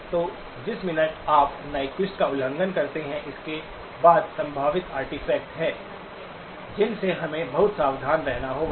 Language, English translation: Hindi, So the minute you violate Nyquist, then there are potential artefacts that we have to be very careful with